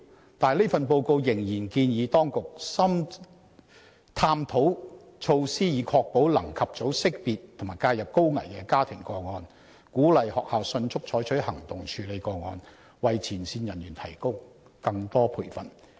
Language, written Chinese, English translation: Cantonese, 可是，這份報告仍然建議當局"探討措施以確保能及早識別和介入高危家庭個案"、"鼓勵學校""迅速採取行動處理和跟進該等個案"及"為前線人員提供更多培訓"。, However the report still recommends the authorities to explore measures to ensure that families at risk can receive early identification and intervention encourage schools to take prompt action for tackling and following up those cases and provid[e] more training for frontline staff